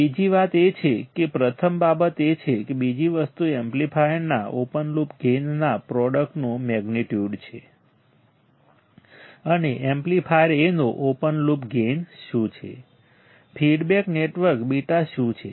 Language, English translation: Gujarati, Second thing is, first thing is this, second thing is the magnitude of the product of open loop gain of the amplifier and feedback network what is open loop gain of the amplifier A, what is feedback network beta right